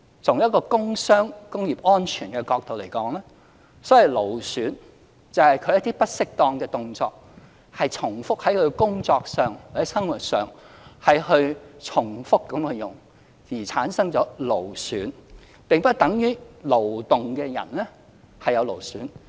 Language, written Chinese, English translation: Cantonese, 從一個工傷、工業安全的角度而言，所謂勞損，就是在工作或生活重複使用不適當的動作而產生勞損，並不等於勞動的人便必然會有勞損。, From the angle of work injuries and occupational safety the so - called musculoskeletal disorder is caused by improper repetitive movements at work or in daily life and it does not mean that people engaging in manual labour will definitely suffer from musculoskeletal disorder